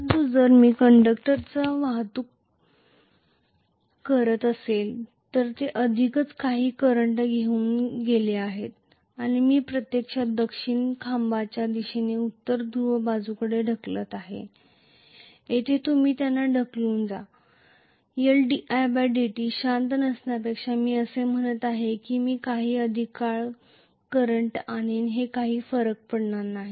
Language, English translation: Marathi, But if I am transporting the conductor then they are already carrying some current and I am actually pushing them from the south pole side to north pole side, here you go you push them, than L di by dt is not going to keep quiet, it is going to say I will carry the current for some more time no matter what